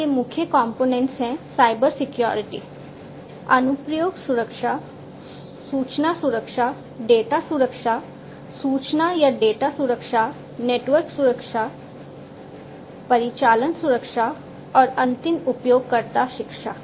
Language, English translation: Hindi, So, going back, these are the main components of Cybersecurity, application security, information security, data security, information or data security, network security, operational security, and end user education